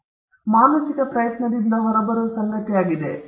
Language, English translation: Kannada, So, an idea is something that comes out of a mental effort